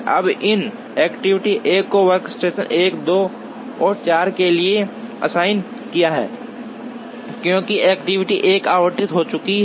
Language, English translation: Hindi, Now, that we have assign activity 1 to workstation 1, 2 and 4 are available now, because activity 1 has been allotted